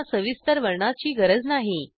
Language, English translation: Marathi, They dont need a detailed description